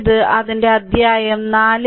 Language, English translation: Malayalam, So, this is your its chapter 4